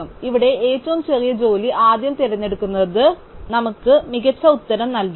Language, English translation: Malayalam, So, here picking the shortest job first does not give us the best answer